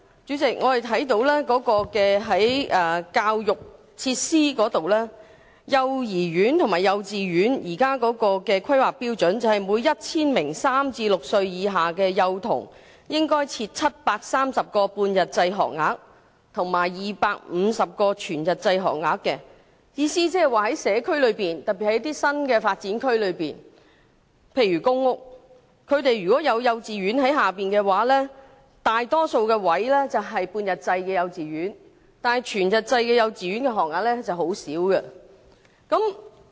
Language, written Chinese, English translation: Cantonese, 主席，在教育設施方面，現時幼兒園和幼稚園的規劃標準是每 1,000 名3歲至6歲以下的幼童應設730個半日制學額及250個全日制學額，即是說在社區內，特別是新發展區內的公屋，大多數幼稚園的學額都是半日制，全日制學額則很少。, President with regard to education facilities the standard for nursery classes and kindergartens are currently 730 half - day and 250 full - day places for every 1 000 children in the age group of three to under six . In other words in the community particularly public housing estates in the new development areas kindergarten places are mostly half - day and full - time places are very rare